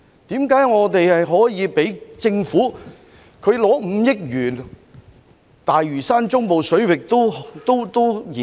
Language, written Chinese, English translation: Cantonese, 為何我們可以讓政府獲得超過5億元進行大嶼山中部水域人工島研究？, Why did we allow the Government to obtain more than 500 million to carry out the studies on the artificial islands in the Central Waters of the Lantau Island?